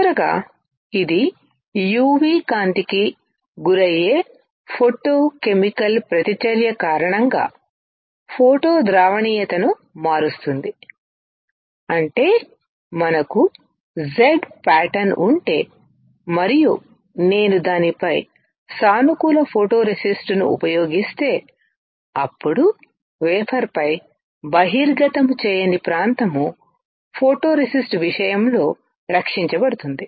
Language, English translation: Telugu, Finally, it changes photo solubility due to photochemical reaction exposed to UV light; that means, if we have a pattern which is Z and I use positive photoresist on it, then on the wafer the area which is not exposed will be protected in case of photoresist